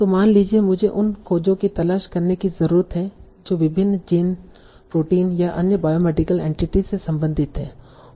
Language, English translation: Hindi, So, suppose I need to look for discovery that are related to various genes, proteins or other biomedical entities